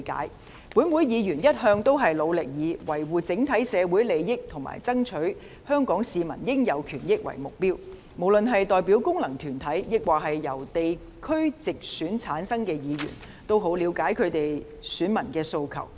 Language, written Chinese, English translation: Cantonese, 立法會議員一直努力以維護整體社會利益和爭取香港市民應有權益為目標，無論是代表功能界別或由地區直選產生的議員，均十分了解其選民的訴求。, Legislative Council Members have set the goal of upholding the interests of the community as a whole and striving for the rights and interests of Hong Kong people whether they are returned by functional constituencies or directly elected through geographical constituencies and they are fully aware of the aspirations of their voters